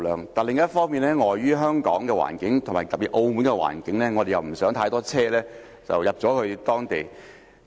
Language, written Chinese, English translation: Cantonese, 不過，另一方面，礙於香港的環境，以及特別是澳門的環境，我們不希望太多車輛進入有關地區。, But on the other hand due to Hong Kongs environmental constraints and having seen the particular case of Macao we do not want to see too many vehicles enter the area concerned